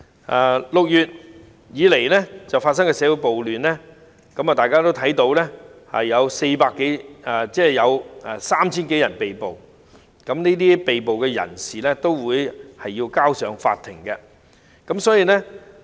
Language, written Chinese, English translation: Cantonese, 由6月開始至今的社會暴亂，大家也知道已有 3,000 多人被捕，而這些被捕人士將會交由法庭處理。, As Members may be aware since the social riots broke out in June more than 3 000 people have been arrested and these arrestees will be brought before the court